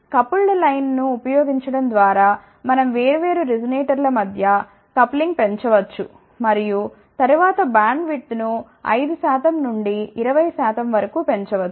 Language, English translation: Telugu, By using coupled line, we can increase the coupling between different resonators and then bandwidth can be increased from 5 percent to up to about 20 percent